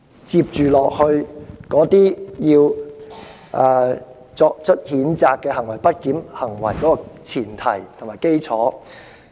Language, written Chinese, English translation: Cantonese, 這是她聲稱的不檢行為的前提和基礎。, This is the premise and basis of the misbehaviour alleged by her